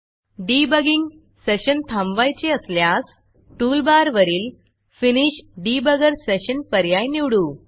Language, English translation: Marathi, Now if you want to stop the debugging session, you can choose the Finish Debugger Session option from the toolbar